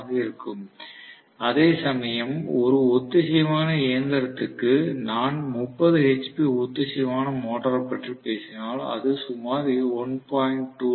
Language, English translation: Tamil, If I am talking about the 30 hp synchronous motor, it will be greater than about 1